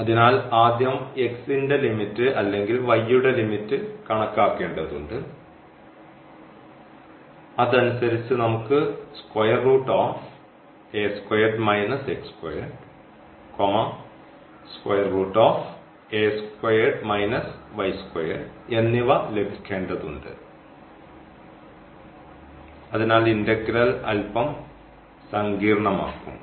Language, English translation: Malayalam, So, we have to whether first compute the limit of x or y accordingly we have to get this square root of a square minus x square or y square, so that will make the integral bit complicated ok